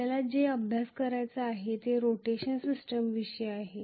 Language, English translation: Marathi, What we have to study is about rotational system